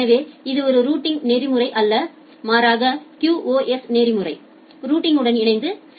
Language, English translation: Tamil, So, it is not a routing protocol, rather a QoS protocol which works in association with routing